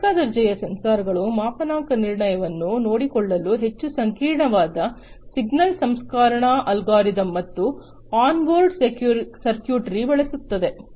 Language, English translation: Kannada, Industry grade sensors use highly complex signal processing algorithms and on board circuitry to take care of calibration